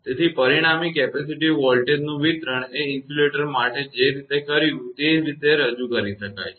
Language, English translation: Gujarati, Therefore, the resulting capacitive voltage distribution can be represented in the same manner the way we have done it for insulator